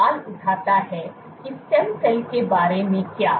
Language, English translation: Hindi, This raises the question what about stem cells